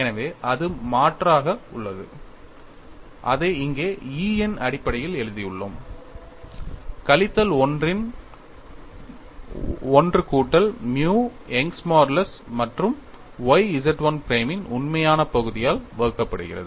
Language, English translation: Tamil, We know E equal to 2 G into 1 plus nu so that is substituted and we have written it in terms of E here, minus 1 of 1 plus nu divided by Young's modulus y real part of Z 1 prime